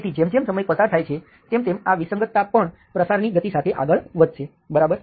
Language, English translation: Gujarati, So as time goes, still this discontinuity will propagate with the speed of propagation